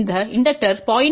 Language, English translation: Tamil, If this is the number 0